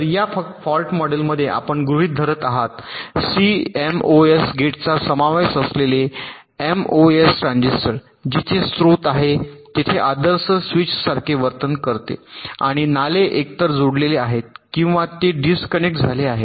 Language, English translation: Marathi, so in this fault model we are assuming that the mos transistor that comprises cmos, gate behave like ideal switches where sources and drains are either connected or they are disconnected